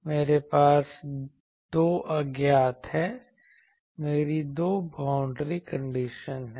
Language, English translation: Hindi, I have 2 unknowns I have 2 boundary conditions